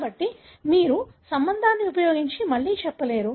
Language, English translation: Telugu, So, you cannot say again using relation